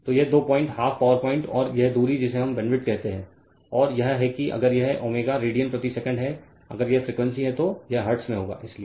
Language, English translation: Hindi, So, this two point call half power point and the and this distance which we call bandwidth right, and this is if it is omega radian per second if it is frequency then it will be in hertz, so